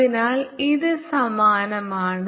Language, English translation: Malayalam, so this is same as the previous